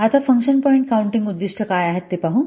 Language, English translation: Marathi, Now let's see what are the objectives of function point counting